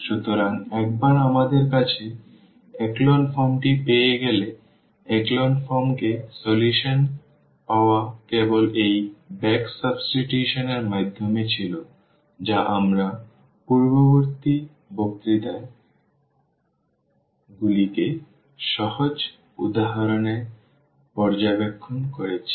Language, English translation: Bengali, So, once we have the echelon form getting the solution from the echelon form was just through this back substitution which we have observed in simple examples in previous lecture